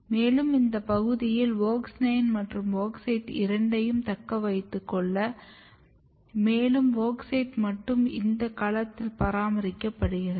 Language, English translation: Tamil, And, this is the region which retains both WOX 9 and WOX 8, and WOX 8 alone is basically maintained in this cell